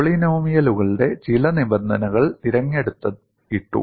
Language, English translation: Malayalam, Certain terms of the polynomials were selected, and put